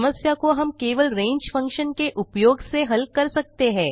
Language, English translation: Hindi, The problem can be solved by just using the range() function